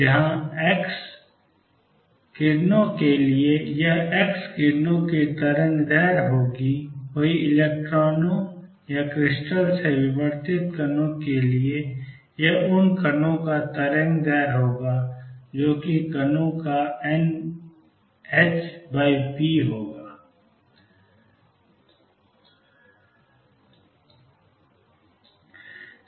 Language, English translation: Hindi, Where for x rays it will be the wavelength of x rays and for electrons or the particles that are diffracted from crystal it will be lambda of those particles which is n h over p of the particles